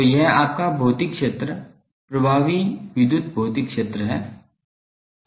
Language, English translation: Hindi, So, this is your physical area electrical effective electrical physical area